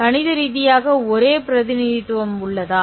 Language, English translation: Tamil, Is mathematical the only representation